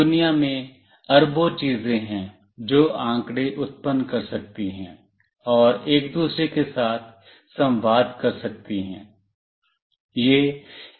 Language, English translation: Hindi, There are billions of things in the world that can generate data and communicate with each other